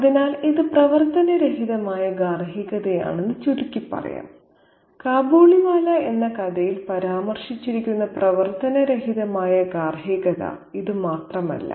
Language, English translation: Malayalam, So, one can sum up and say that this is a dysfunctional domesticity and this is not the only dysfunctional domesticity mentioned in the story Khabuliwala